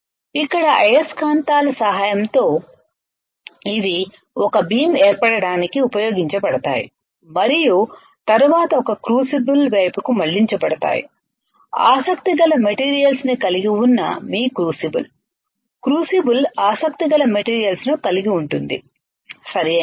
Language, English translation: Telugu, Here with the help of magnets these are used to form a beam and then a directed towards a crucible that contains the materials of material of interest is within your crucible within your crucible, right